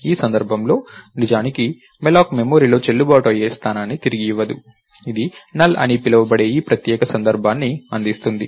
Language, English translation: Telugu, In this case, actually malloc doesn't return a valid location in the memory, it returns this special case called NULL